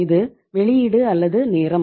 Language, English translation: Tamil, This is the output or time